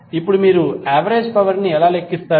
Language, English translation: Telugu, Now, how you will calculate average power